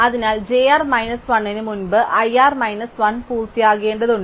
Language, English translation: Malayalam, So, we have that i r minus 1 finishes before j r minus 1